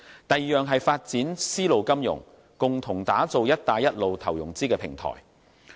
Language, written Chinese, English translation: Cantonese, 第二，是發展絲路金融，共同打造"一帶一路"投融資平台。, Second it is developing silk road finance to jointly develop a financing platform for the Belt and Road